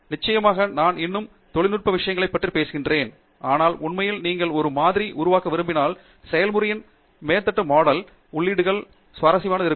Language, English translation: Tamil, Of course, I am talking more technical stuff now, but we say that if you want to really build a model mathematical model of the process the inputs have to be persistently exciting